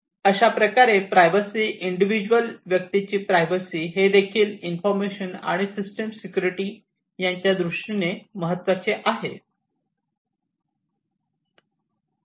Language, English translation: Marathi, So, the privacy of the machines, privacy of the individuals working in the industry etc, this also becomes a very important concern along with information and system security